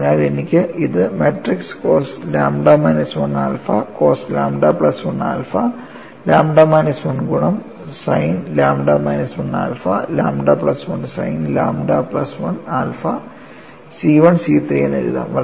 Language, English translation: Malayalam, So, I have this as matrix cos lambda minus 1 alpha cos lambda plus 1 alpha lambda minus 1 multiplied by sin lambda minus 1 alpha lambda plus 1 sin lambda plus 1 alpha C 1 C 3, and the right hand side is 0